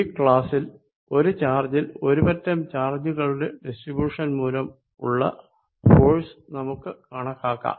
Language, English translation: Malayalam, In this class, we will calculate force on a charge q due to distribution of charges